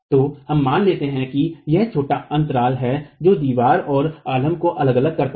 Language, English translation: Hindi, So, let's assume that there is a small gap which separates the wall and the support